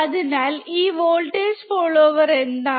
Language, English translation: Malayalam, So, what exactly is this voltage follower